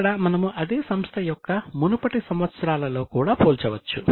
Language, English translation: Telugu, Okay, here also we can compare with earlier years of the same company as well